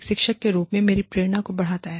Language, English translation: Hindi, And, that enhances your motivation, as a teacher